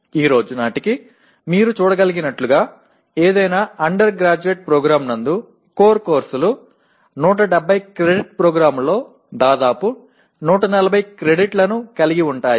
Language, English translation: Telugu, As you can see as of today, the core courses constitute almost 140 credits out of 170 credit program, any undergraduate program